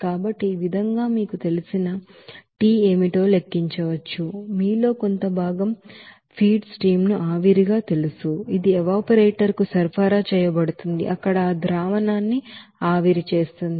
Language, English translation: Telugu, So in this way you can calculate what should be the you know, fraction of you know feed stream as a steam that will be supplied to the evaporator to you know evaporate those solution there